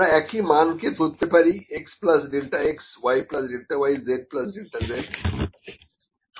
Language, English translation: Bengali, I consider the same values, x plus delta x y plus delta y z plus delta z